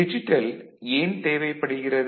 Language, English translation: Tamil, Regarding why digital